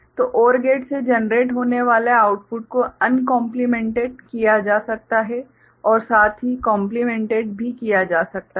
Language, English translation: Hindi, So, the output that is getting generated from the OR gate can go uncomplemented as well as complemented ok